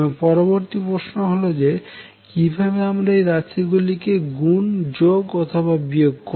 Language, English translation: Bengali, The next question that arises is how do we multiply add subtract these quantities